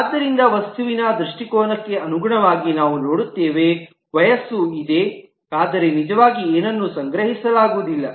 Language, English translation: Kannada, So in terms of the view of the object, we will see as if there is a age but there is nothing be actually stored